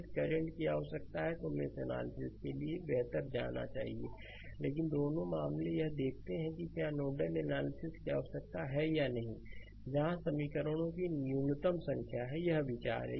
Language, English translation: Hindi, If currents are required, better you go for mesh analysis, but both the cases you please see that whether you need for nodal analysis whether where you have a minimum number of equations right, this is the idea